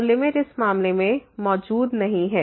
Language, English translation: Hindi, So, limit and does not exist in this case